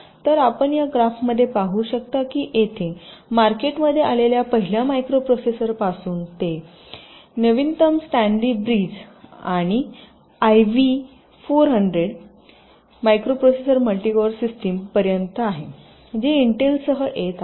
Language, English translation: Marathi, so you can see in this graph that he of from the first micro processor that came to the market, it is here four, zero, zero, four, up to the latest sandy i v micro processor, multi code systems, which intel is coming up with